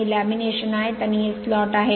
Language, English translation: Marathi, These are the laminations and these are the slots right